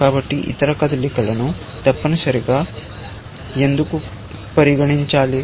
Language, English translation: Telugu, So, why consider the other moves at all, essentially